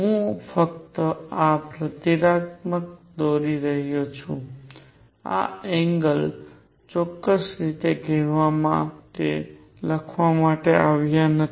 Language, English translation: Gujarati, I am just drawing these symbolically these angles are not written to be to be precise